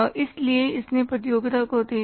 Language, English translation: Hindi, So it intensified the competition